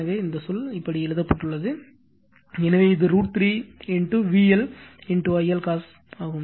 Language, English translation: Tamil, So, this term is written like this, so it is root 3 V L I L cos theta right